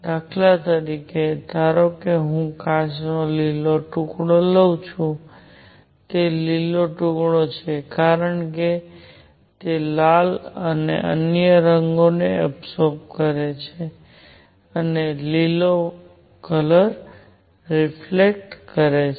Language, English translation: Gujarati, For example, suppose I take a green piece of glass, it is green because it absorbs the red and other colors and reflects green